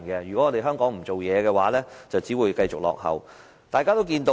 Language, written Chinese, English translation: Cantonese, 如果香港不發展，便只會繼續落後。, If Hong Kong stops its development it will lag behind others